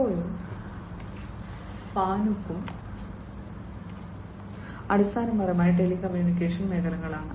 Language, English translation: Malayalam, Cisco and Fanuc, they are basically in the you know they are in the telecommunication sector